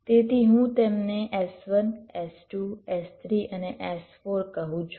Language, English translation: Gujarati, so i call them s one, s two, s three and s four